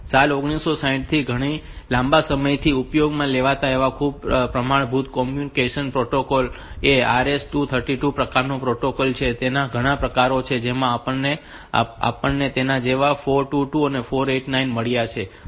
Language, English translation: Gujarati, is used for quite a long time since 1960s onwards is the RS 232 type of protocol and there are many variants of it say we have got 422, 489 like that